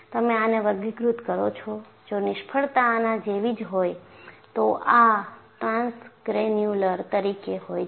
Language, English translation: Gujarati, And you classify, if a failure has happen like this, as transgranular